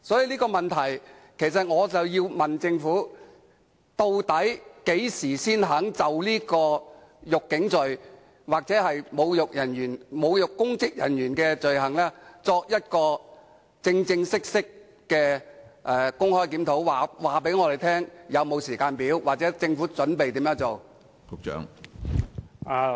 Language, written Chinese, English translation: Cantonese, 因此，我想問政府，究竟何時才肯就"辱警罪"或侮辱執法的公職人員的罪行展開正式的公開檢討工作，並告訴我們有關工作的時間表或政府準備怎樣做？, Therefore when will the Government eventually concede to embark on a public review of the offence of insulting police officers or the offence of insulting public officers enforcing the law? . Will the Government also inform us of the relevant timetable and the action to be taken?